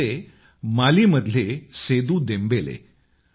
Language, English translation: Marathi, So this was Sedu Dembele from Mali